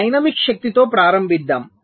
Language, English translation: Telugu, let us start with dynamic power